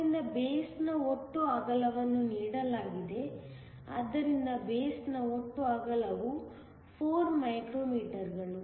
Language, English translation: Kannada, So, the total width of the base is given; so the total width of the base is 4 micrometers